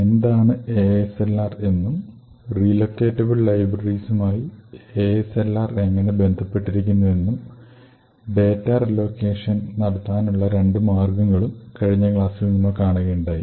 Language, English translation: Malayalam, In the previous lecture we had actually looked at ASLR and we see how ASLR is actually dependent on relocatable libraries and we also looked at two ways to achieve relocatable data